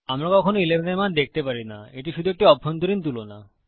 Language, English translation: Bengali, We never see the value of 11, its only an inside comparison